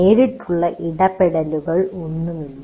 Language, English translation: Malayalam, There is no direct interaction